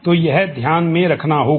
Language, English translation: Hindi, So, that has to be kept in mind